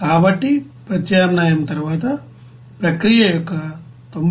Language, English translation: Telugu, So after substitution, we can after calculation as 93